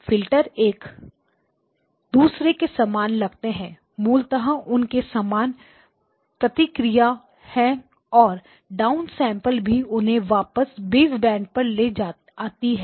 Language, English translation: Hindi, The filters look identical, basically they have the same responses and then the down sampling brings them all of them back to baseband